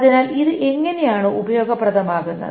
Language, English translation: Malayalam, So how is this useful